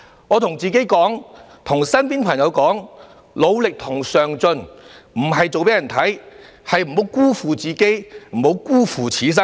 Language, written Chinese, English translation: Cantonese, 我告訴自己及身邊朋友，努力和上進並非做給別人看的，而是不要辜負自己、不要辜負此生。, I always tell myself and my friends that when I work hard and strive for progress it is not an eye - catching move . I do so in order not to let myself down and not to have disappointment in life